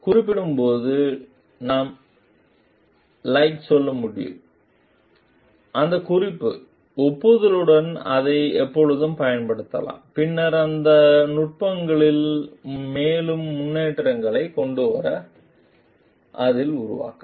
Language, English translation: Tamil, And while referring and we can tell like, we can always use it with that reference, acknowledgement and then maybe develop on that to bring further developments in those techniques